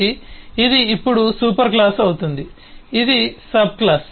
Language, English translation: Telugu, so this now becomes the superclass